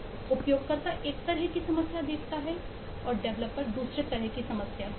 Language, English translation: Hindi, the user sees one kind of a problem, the developer sees a different kind of a problem